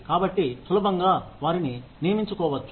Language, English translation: Telugu, So, it is easy to hire them